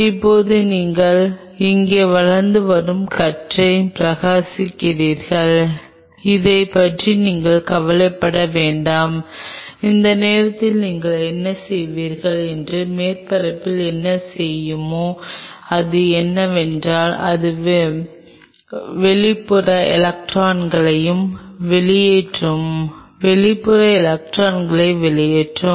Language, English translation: Tamil, now you shine emerging beam out here, do not worry about it what you are shining at this point what this will do is on the surface whatever is present it will eject out the outermost electrons and each one of those outermost electrons which are being ejected out